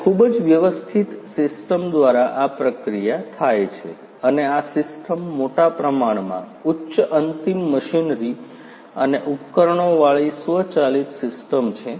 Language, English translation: Gujarati, And this processing happens through a very sophisticated system and this system is to a large extent an automated system with high end machinery and instruments ah